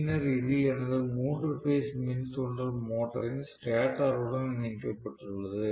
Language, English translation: Tamil, And then this is connected to my three phase induction motors stator